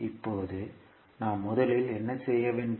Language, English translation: Tamil, Now, what we have to do first